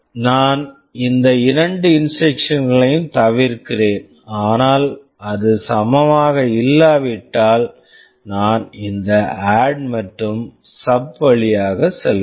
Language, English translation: Tamil, I am skipping these two instructions, but if it is not equal then I am going through this ADD and SUB